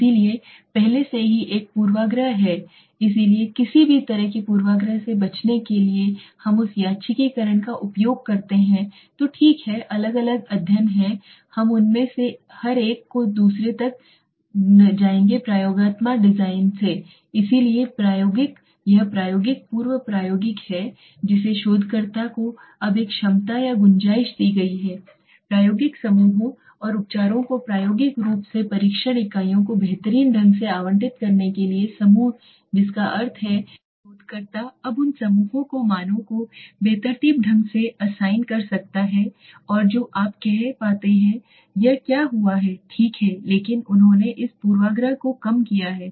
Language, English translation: Hindi, So there is already a bias so to avoid any kind of bias we use that randomization okay so the different studies are we will go to them each one of them second is the true experimental designs so the true experimental this is pre experimental the researcher is now given an ability or a scope to randomly assign the test units to the experimental groups and treatments to experimental groups that means the researcher can now randomly assign the values to the groups that are you know available to them okay by doing this what has happened but they have reduced this bias